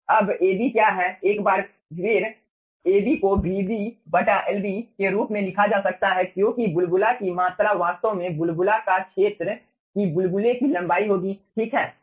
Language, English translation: Hindi, ab, once again, can be written as vb by lb, because of bubble volume will be actually your area of the bubble and length of the bubble